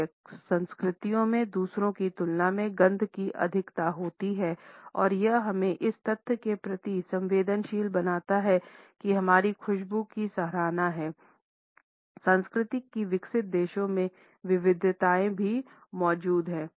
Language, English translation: Hindi, Some cultures are more smell conscious than others and it sensitizes us to the fact that in our appreciation of smells also, cultural variations do exist in most of the developed countries